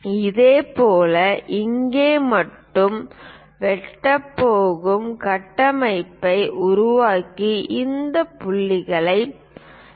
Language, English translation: Tamil, Similarly, construct which is going to intersect here only and join these points